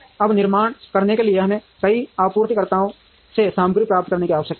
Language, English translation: Hindi, Now in order to manufacture we need to get the material from several suppliers